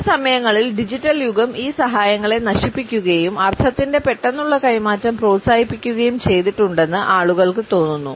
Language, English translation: Malayalam, Sometimes, people feel that the digital age has killed these aids to the immediate transference of meaning